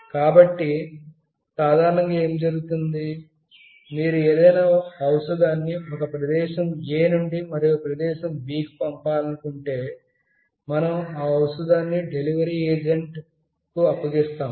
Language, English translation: Telugu, So, what is generally done, if you want to send a medicine from place A to place B, we hand over the medicine to some delivery agent